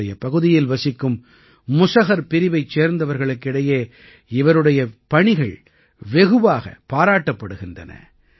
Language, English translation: Tamil, There is a lot of buzz about his work among the people of the Musahar caste of his region